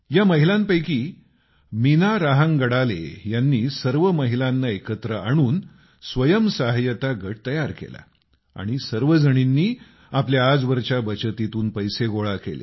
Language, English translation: Marathi, One among these women, Meena Rahangadale ji formed a 'Self Help Group' by associating all the women, and all of them raised capital from their savings